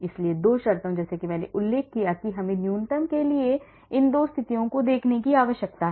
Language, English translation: Hindi, So, two conditions like I mentioned we need to look at these two conditions for minimum